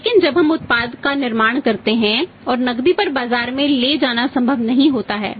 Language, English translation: Hindi, But when we manufacture the product it is not possible to be taken to the market on cash